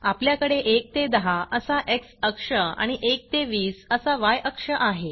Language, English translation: Marathi, As you see, We have x axis starting from 1 to 10 and y axis from 1 to 20